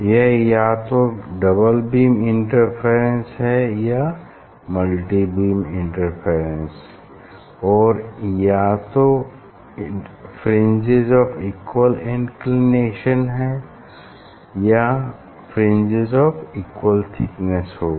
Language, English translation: Hindi, And, it will be either double beam interference or multi beam interference or also it will be either fringes of equal inclination or fringes of equal thickness